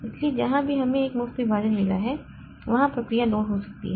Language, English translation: Hindi, So, wherever we have got a free partition the process may be loaded there